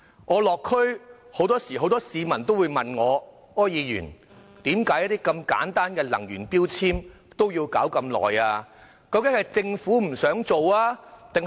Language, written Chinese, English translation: Cantonese, 我落區時很多市民問我："柯議員，為何如此簡單的能源標籤政策也要花如此長時間處理？, When I visited the local districts people often asked me Mr OR why does it take so long for such a simple energy efficiency labelling policy to process?